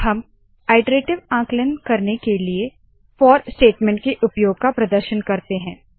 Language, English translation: Hindi, We will now demonstrate the use of the for statement to perform iterative calculations